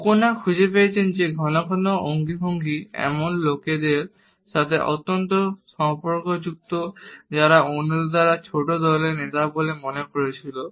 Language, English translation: Bengali, O’Conner has found that frequent gesturing is highly correlated with people who were perceived by others to be leaders in small groups